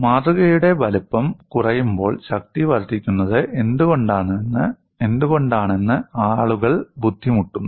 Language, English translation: Malayalam, People were struggling why, when the size of the specimen decreases, strength increases